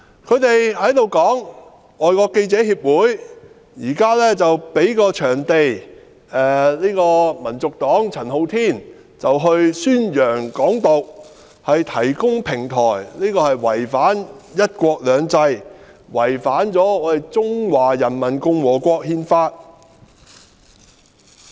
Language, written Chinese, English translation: Cantonese, 他們指，香港外國記者會提供場地或平台給香港民族黨的陳浩天宣揚"港獨"，違反"一國兩制"，違反《中華人民共和國憲法》。, Pro - establishment Members pointed out that the Foreign Correspondents Club Hong Kong FCC had provided a venue or a platform for Andy CHAN of the Hong Kong National Party HKNP to promote Hong Kong independence which violated the principle of one country two systems and the Constitution of the Peoples Republic of China